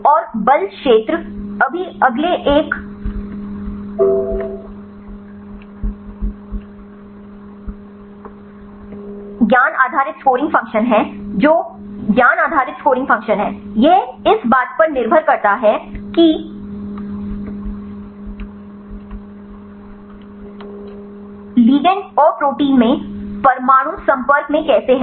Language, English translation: Hindi, And the force field right now the next one is knowledge based scoring function the knowledge based scoring function, that is depends upon how the atoms are in contact right in the ligand and the protein